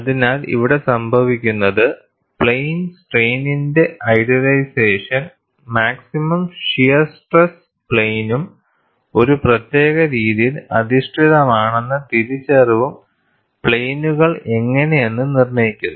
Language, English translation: Malayalam, So, what happens here is, the idealization as plane strain and that recognition, that maximum shear stress plane is oriented in a particular fashion, dictates how the planes are; it is like this; the planes are like this